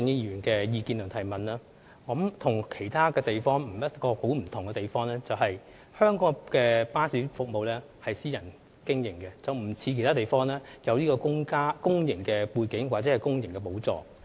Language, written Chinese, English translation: Cantonese, 有別於其他地方，香港的巴士服務屬私人營運，不像其他地方的巴士公司，具有公營背景或由公帑補助。, Unlike other places bus services in Hong Kong are operated by private companies and unlike bus companies in other places bus companies in Hong Kong are not public corporations and receive no public subsidy